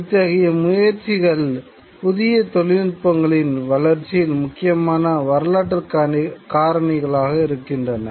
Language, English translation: Tamil, These are important historical factors in development of new technologies